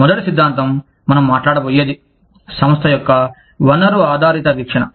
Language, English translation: Telugu, The first theory, that we will be talking about, is the resource based view of the firm